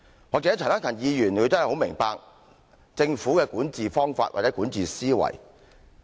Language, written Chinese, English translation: Cantonese, 也許陳克勤議員真的很明白政府的管治方法，或者管治思維。, Perhaps Mr CHAN Hak - kan really knows very well the Governments method of governance or its mindset